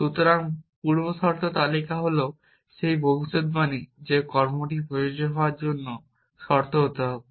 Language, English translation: Bengali, So, precondition list is those predicates which must be true for the action to be applicable